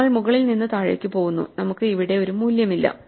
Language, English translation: Malayalam, We are going top to bottom and we have run out of a value